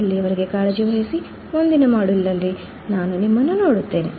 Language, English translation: Kannada, Till then take care, I will see you in the next module, bye